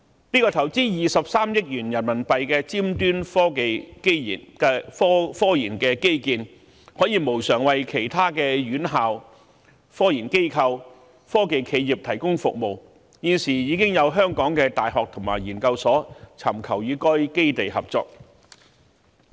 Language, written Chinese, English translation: Cantonese, 這項投資23億元人民幣的尖端科研基建可以無償為其他院校、科研機構及科技企業提供服務，現時已有香港的大學及研究所尋求與該基地合作。, This cutting - edge RD facility involving an investment of RMB2.3 billion provides free services for other tertiary institutions RD institutions and technology enterprises . Some universities and research institutes are now working on potential cooperative projects with the facility